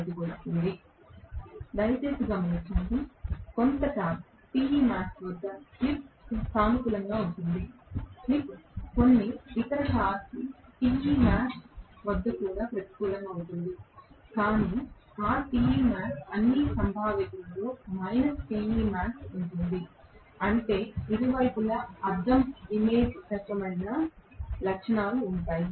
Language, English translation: Telugu, Please, note the slip is positive at some torque Te max, the slip can be negative also at some other torque Te max, but that Te max will be in all probability minus Te max, which means there will be a mirror image kind of characteristics on either side